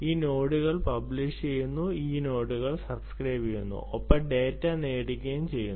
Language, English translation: Malayalam, nodes publish on a topic, nodes subscribe to the topic and get the data